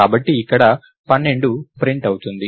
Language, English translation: Telugu, So, it will print 12 here